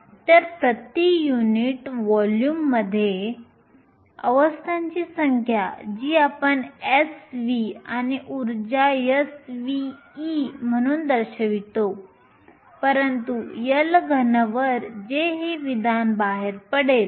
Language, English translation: Marathi, So, the number of states per unit volume which we denote s as subscripts v and energy is nothing, but s of e over L cube which will take this expression out